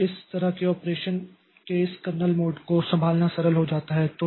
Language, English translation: Hindi, So that way the handling this kernel mode of operation becomes simple